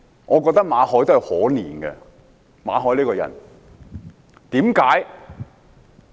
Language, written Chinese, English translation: Cantonese, 我覺得馬凱這個人可憐，為甚麼？, I think Victor MALLET is pathetic why?